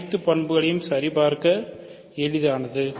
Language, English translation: Tamil, So, all the properties are easy to check